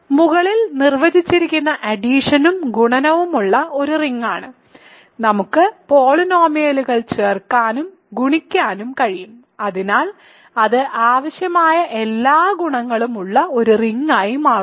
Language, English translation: Malayalam, So, this is an ring with the addition and multiplication defined above, we can add and multiply polynomials, so it becomes a ring it has all the required properties